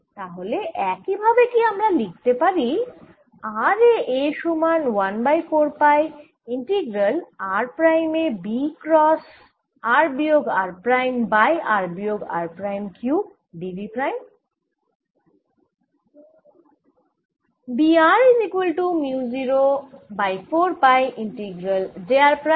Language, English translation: Bengali, can i, in a similar manner therefore write: a at r is equal to one over four pi integral b at r prime cross r minus r prime over r minus r prime cube d b prime